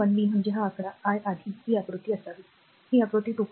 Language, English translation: Marathi, 1 b means this figure I showed you earlier this figure, this figure 2